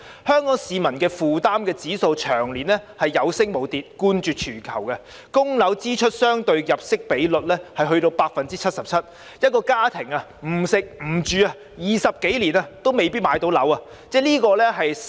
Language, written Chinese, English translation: Cantonese, 香港市民置業的負擔指數長年有升無跌，冠絕全球，供樓支出相對入息的比率達 77%， 一個家庭不吃不喝20多年也未必能夠買樓。, The index of home purchase affordability of Hong Kong citizens has continued to rise all the year round and is much higher than that of other places in the world . The ratio of mortgage payment to income reaches 77 % so a family may not be able to buy a flat even without eating and drinking for more than 20 years